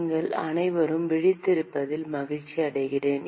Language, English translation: Tamil, I am glad you are all awake